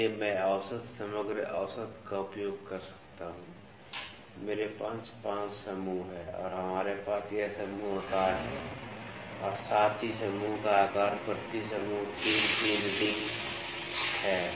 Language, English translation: Hindi, So, I can use the average overall average I have 5 groups and we have this group size as well as the group size is 3, 3 readings per group